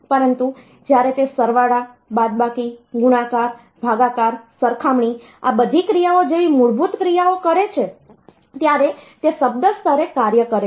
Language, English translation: Gujarati, But when it is doing the basic operations like addition, subtraction, multiplication, division, comparison, all this operations then they are operating at the word level